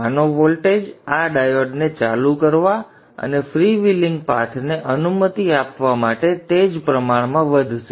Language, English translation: Gujarati, So the voltage of this will rise correspondingly to turn on this diode and allow for the freewheeling path